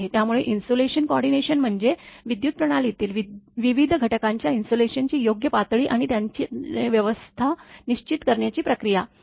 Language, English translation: Marathi, So, insulation coordination is the process of determining the proper insulation level of various components in a power system, and their arrangement